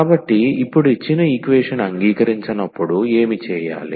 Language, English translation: Telugu, So, now what to be done when the given equation is not accept